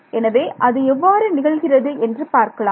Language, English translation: Tamil, So, let us see what happens here